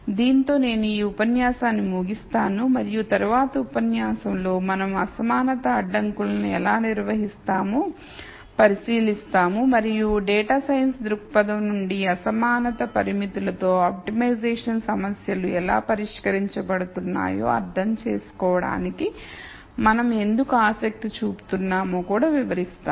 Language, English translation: Telugu, With this I will conclude this lecture and in the next lecture we will look at how we handle inequality constraints and I will also explain why we are interested in understanding how optimization problems are solved with inequality constraints from a data science perspective